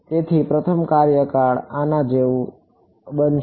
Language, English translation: Gujarati, So, the first term will become like this